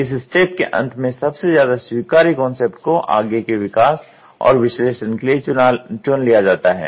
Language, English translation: Hindi, At the end of this phase, the most acceptable concept is selected for further development and analysis